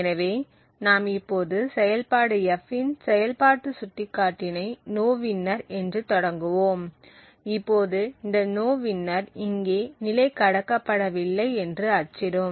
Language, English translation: Tamil, So then what we do is we initialize the function pointer in f to nowinner so know that nowinner is here and it simply prints level has not been passed